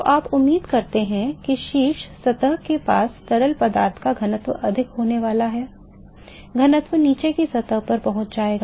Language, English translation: Hindi, So, you expect that the density of the fluid near the top surface is going to be greater than the, density will get leads to the bottom surface